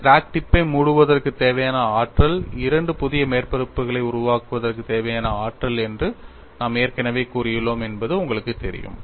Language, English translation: Tamil, You know we have already said, whatever the energy required to close the crack tip is energy required for formation of two new surfaces